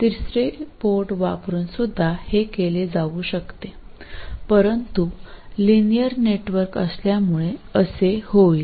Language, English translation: Marathi, You can provide it using a third port but by linearity exactly the same thing will happen